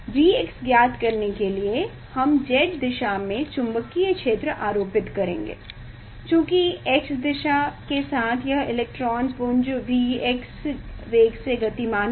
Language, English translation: Hindi, for finding out the V x, we will apply magnetic field in the Z direction ok, so along the x direction this electron beam is moving, V x velocity